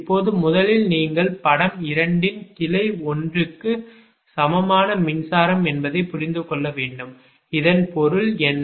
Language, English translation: Tamil, now, first you have to understand that electrical equivalent of branch one of figure two